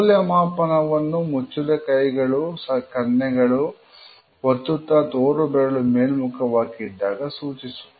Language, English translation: Kannada, Evaluation is showed by a closed hand, resting on the chin or cheek often with the index finger pointing upwards